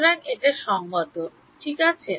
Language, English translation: Bengali, So, its consistent right